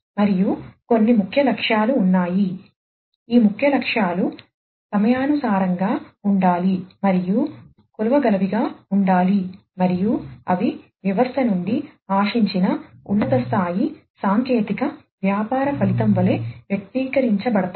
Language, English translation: Telugu, And there are certain key objectives these key objectives should be time bound and should be measurable, and they are expressed as high level technical business outcome expected from the system